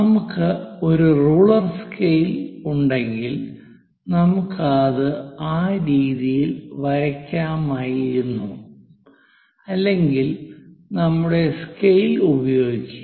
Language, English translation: Malayalam, So, if we have a rule scale, ruler scale, we we could have drawn it in that way; otherwise, let us use our scale